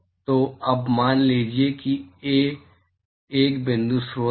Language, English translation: Hindi, So, now assume that Ai is a point source